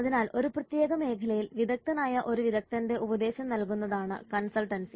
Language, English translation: Malayalam, So consultancy is the act of giving an advice by an expert professional on a specialized area